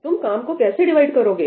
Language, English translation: Hindi, How do you divide the work